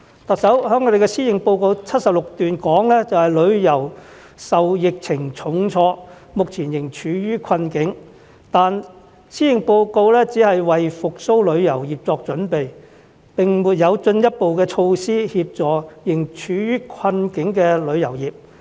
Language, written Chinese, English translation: Cantonese, 特首在施政報告第76段提到，旅遊業受疫情重創，目前仍處於困境，但施政報告只是為復蘇旅遊業作準備，並沒有進一步措施協助仍處於困境的旅遊業。, In paragraph 76 of the Policy Address the Chief Executive mentions that the tourism industry has been hard hit by the pandemic and is still in hardship; but she only expresses the need to get prepared for its recovery without introducing any further measures to help the industry which is still in hardship